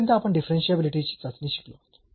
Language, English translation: Marathi, Now, the testing of the differentiability what we have learned so far